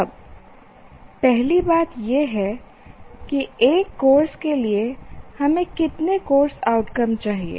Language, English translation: Hindi, Now first thing we will start with is how many course outcomes should we have for a course